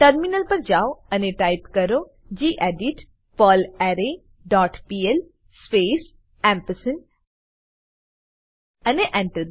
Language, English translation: Gujarati, Switch to terminal and type gedit perlArray dot pl space and press Enter